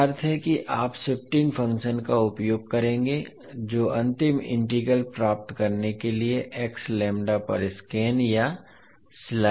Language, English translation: Hindi, So it means that you will utilise the shifting function which will scan or slide over the x lambda to get the final integral